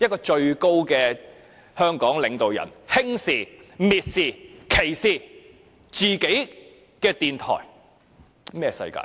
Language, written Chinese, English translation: Cantonese, 香港的最高領導人，竟然輕視、蔑視、歧視自己的電台，這是甚麼世界？, It is most appalling that the top leader of Hong Kong belittles scorns and discriminates against the radio station of Hong Kong